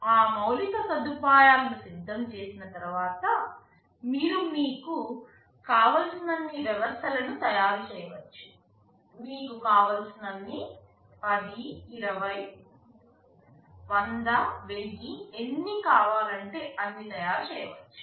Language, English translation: Telugu, Once we have that infrastructure ready, you can manufacture the systems as many you want; you can manufacture 10, 20, 100, 1000 as many you want